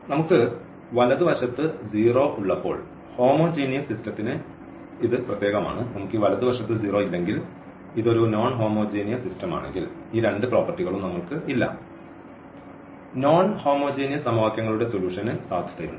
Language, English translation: Malayalam, So, that is special for this homogeneous system when we have the right hand side 0, if we do not have this right hand side 0; if it is a non homogeneous system we do not have this property these two properties for example, valid for the solution of non homogeneous system of equations